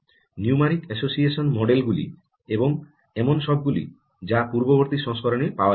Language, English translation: Bengali, the numeric association model are all that were not available in previous version